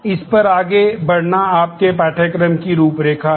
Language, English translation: Hindi, Moving on this is your course outline